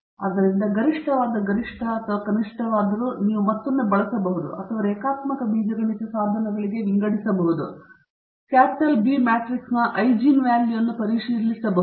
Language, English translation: Kannada, So, whether the optimum obtained is maxima or a minima, you can again use or sort to linear algebra tools we can check the eigenvalues of the capital B matrix